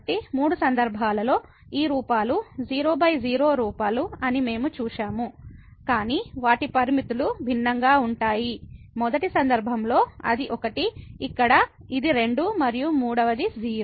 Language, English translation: Telugu, So, in these all three cases we have seen that these forms were by forms, but their limits are different; in the first case it is , here it is and the third one is